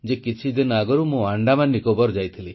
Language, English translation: Odia, You know, some time ago I had visited AndamanNicobar Islands